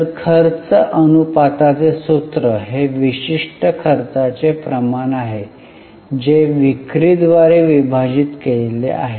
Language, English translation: Marathi, So, the formula for expense ratio is that particular expense ratio divided by sales